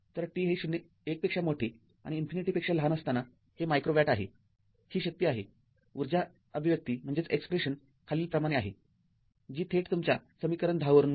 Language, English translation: Marathi, So, this is micro watt for t greater than 1 less than infinity this is the power, the energy expression as follows that directly we get from your what you call equation 10 right